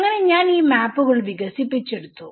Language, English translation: Malayalam, So, I have developed these maps especially